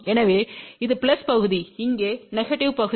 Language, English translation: Tamil, So, this is the plus part, here is the negative part